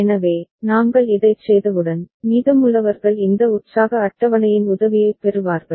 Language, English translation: Tamil, So, once we are done with this, then the rest is two take help of this excitation table